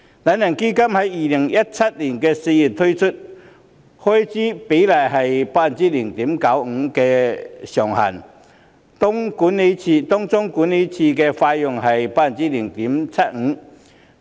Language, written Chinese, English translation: Cantonese, "懶人基金"於2017年4月推出，開支比率以 0.95% 為上限，當中管理費上限是 0.75%。, The lazybones fund was introduced in April 2017 with the expense ratio capped at 0.95 % among which the management fee cap is 0.75 %